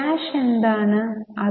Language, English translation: Malayalam, First is cash